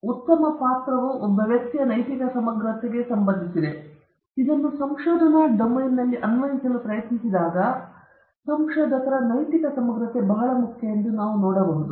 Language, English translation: Kannada, So, here itself we could see that good character is associated with some sort of a moral integrity of a person, and when you try to apply this into the research domain, we could see that the moral integrity of the researcher is extremely important